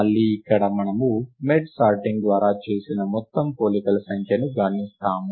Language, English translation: Telugu, Again here we count the total number of comparisons made by merge sort